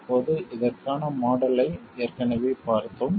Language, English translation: Tamil, Now we already have seen a model for this